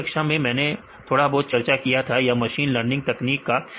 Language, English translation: Hindi, Last class I will show a discuss a little bit about the machine learning techniques